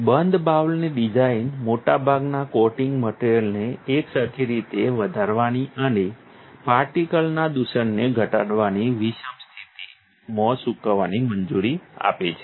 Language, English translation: Gujarati, The closed bowl design allows most coating materials to dry in a quiescent state increasing uniformity and minimizing particle contamination